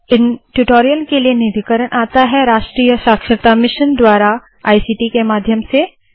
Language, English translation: Hindi, The funding for this spoken tutorial has come from the National Mission of Education through ICT